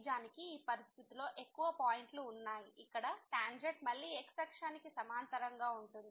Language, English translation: Telugu, Indeed in this situation there are more points one I can see here where tangent is again parallel to the